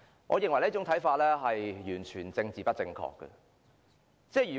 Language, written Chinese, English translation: Cantonese, 我認為這說法完全政治不正確。, I think this saying is completely politically incorrect